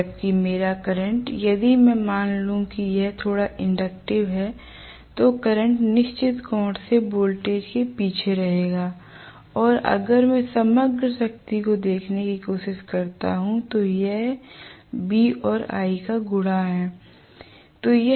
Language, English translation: Hindi, Whereas my current if I assume it is slightly inductive the current might probably lag behind the voltage by certain angle right and if I try to look at the overall power right, it is the product of V and I